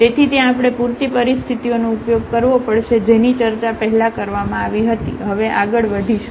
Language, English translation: Gujarati, So, that there we have to use the sufficient conditions that were discussed before so, moving a next now